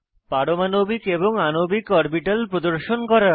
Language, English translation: Bengali, Display Atomic and Molecular orbitals